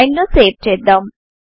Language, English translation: Telugu, Let us save the file